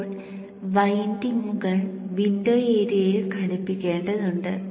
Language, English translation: Malayalam, Now the windings will have to fit within the window area